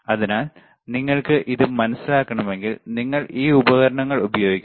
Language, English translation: Malayalam, So, if you want to understand this thing, you have to use this equipment